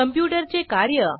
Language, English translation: Marathi, Functions of a computer